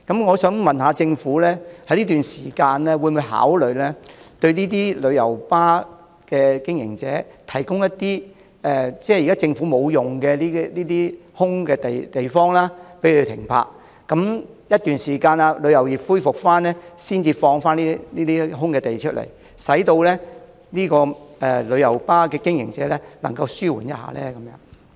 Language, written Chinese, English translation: Cantonese, 我想問政府，會否考慮在這段時間向旅遊巴經營者提供一些政府空置土地，讓他們停泊旅遊巴，當旅遊業恢復後，才收回這些空置土地，使旅遊巴經營者得到紓緩呢？, May I ask will the Government consider providing vacant government land for parking of coaches by coach company operators during this period and resuming the land after the tourism business revives so as to provide relief for these operators?